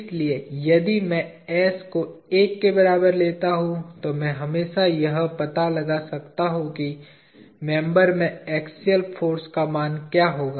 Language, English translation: Hindi, So, if I take s equal to one I can always find out what will be the value of the axial force in the member